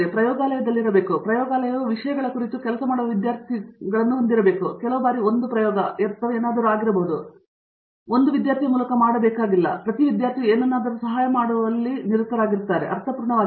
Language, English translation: Kannada, I mean they must be in the lab and the lab has to have like a bunch of students working on things, may be some times 1 experiment or whatever it is, it may not be possible to actually be done by 1 student, but it does’nt mean that every student gets a helper to help him something, it dose’nt made sense at all